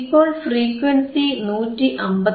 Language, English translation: Malayalam, So, frequency is 159